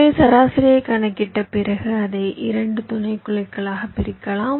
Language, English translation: Tamil, the idea is as follows: so after calculating the median, you divide it up into two subsets